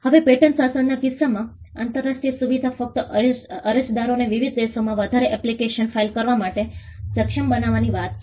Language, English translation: Gujarati, Now, in the case of the patent regime, the international facilitation is only to the point of enabling applicants to file multiple applications in different countries